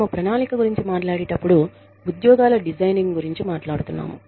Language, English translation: Telugu, When we talk about planning, we are talking about, designing jobs